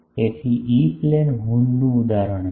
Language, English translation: Gujarati, So, this is a example of a E Plane horn